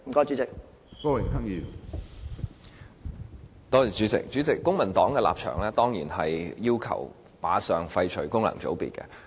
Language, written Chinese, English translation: Cantonese, 主席，公民黨的立場當然是要求立即廢除功能界別。, President it is certainly the stance of the Civic Party to demand immediate abolition of functional constituencies